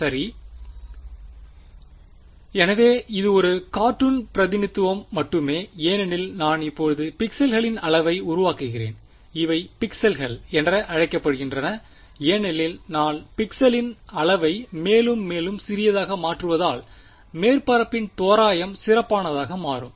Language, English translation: Tamil, So, this is just a cartoon representation as I make the size of the pixels now these are called pixels as I make the size of the pixel smaller and smaller better is the approximation of the surface